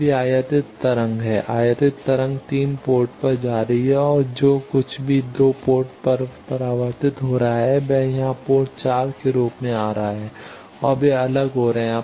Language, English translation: Hindi, Now this is incident wave, incident wave is going to port 3 and whatever is reflected at port 2 that is coming here as port 4 and they are getting separated